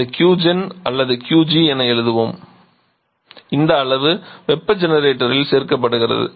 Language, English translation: Tamil, It is adding heat to this so this Q gen or let us write a Qg amount of heat is being added to the generator